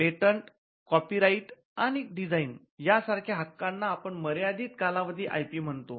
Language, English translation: Marathi, With because rights like patents, copyright, and designs, what we call limited life IP and designs